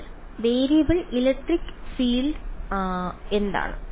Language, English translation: Malayalam, So, what is the variable electric field